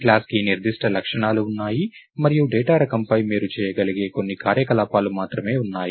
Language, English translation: Telugu, So, there are certain properties of a class and there are only certain operations that you can do on the data type